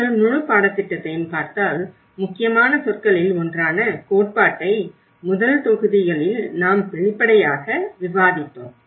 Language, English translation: Tamil, And if you look at the whole course one of the important keywords which you come up the theory, which we obviously discussed in the first modules